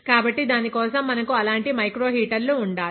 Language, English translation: Telugu, For that, we need to have such microheaters